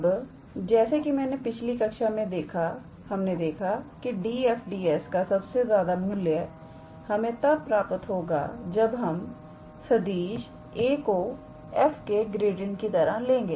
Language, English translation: Hindi, Now, as I was speaking in the previous class that the maximum value of d f d s will be attained if we consider the vector a as gradient of f